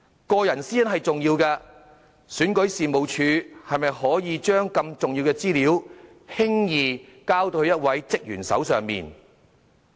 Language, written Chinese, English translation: Cantonese, 個人私隱是重要的，選舉事務處是否可以把如此重要的資料，輕易交到一位職員手上呢？, In light of the importance concerning personal privacy was it right that REO casually allowed handing this kind of important information to a single staff member?